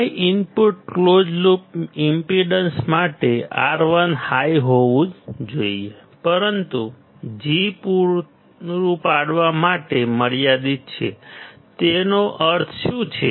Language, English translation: Gujarati, For high input close loop impedance; R1 should be large, but is limited to provide sufficient G; what does that mean